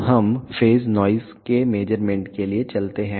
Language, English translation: Hindi, Now, let us go for measurement of the phase noise